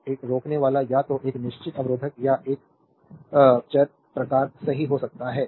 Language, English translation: Hindi, So, a resistor is either a it may be either a fixed resistor or a variable type, right